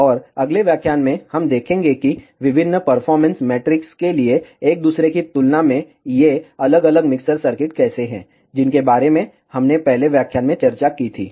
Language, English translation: Hindi, And in the next lecture, we will see how this different mixer circuits in compared to each other perform for various performance metrics, that we discussed in the first lecture